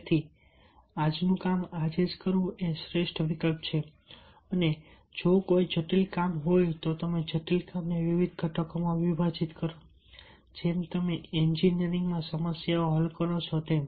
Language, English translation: Gujarati, dob, doing the todays job today is the best option and if there is a complex job, then you breakdown the complex job into different components as you solve a problem in engineering